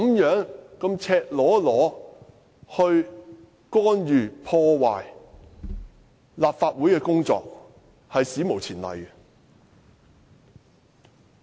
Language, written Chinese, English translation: Cantonese, 如此赤裸裸地干預和破壞立法會的工作，屬史無前例。, It is unprecedented that such a blatant attempt has been made to interfere with and sabotage the work of the Legislative Council